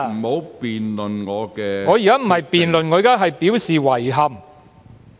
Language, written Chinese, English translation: Cantonese, 我現在不是評論，而是表示遺憾。, I am just expressing regret not making comment